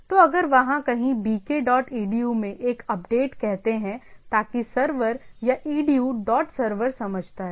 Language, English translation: Hindi, So, if there is a update in say somewhere bk dot edu, so that that is server or edu dot server understands